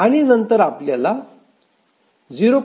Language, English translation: Marathi, And if we simplify, we get 0